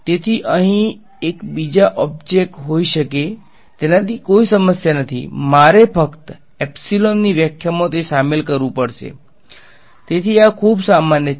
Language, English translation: Gujarati, So, I can have one another object over here no problem, I just have to include that in the definition of epsilon ok so, this is very general